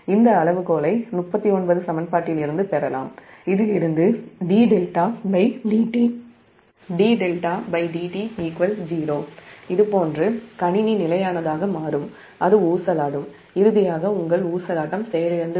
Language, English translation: Tamil, this criterion can simply be obtained from equation thirty nine, from this one that if d delta by d t is zero, like this, then system will become stable, it will oscillate and finally your oscillation will die out